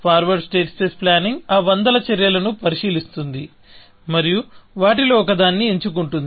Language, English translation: Telugu, Forward state space planning would consider all those hundreds actions, and choose one of them, essentially